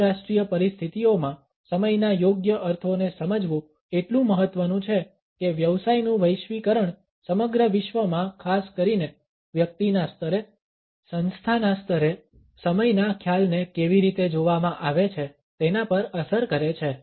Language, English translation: Gujarati, Understanding appropriate connotations of time is therefore important in international situations globalization of business is influencing how the concept of time is viewed around the world particularly at the level of the individual, at the level of the organization